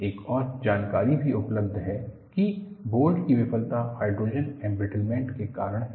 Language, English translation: Hindi, And, another information is also available, that the failure of the bolt is due to hydrogen embrittlement